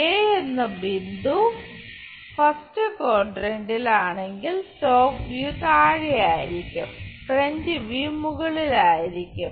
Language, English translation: Malayalam, If the point is A in the first quadrant is top view will be at bottom is front view on the top